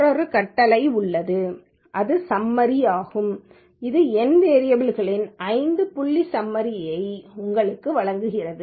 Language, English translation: Tamil, There is another command which is summary which gives you the five point summary of the numeric variables